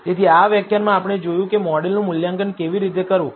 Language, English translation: Gujarati, So, in this lecture, we saw how to assess the model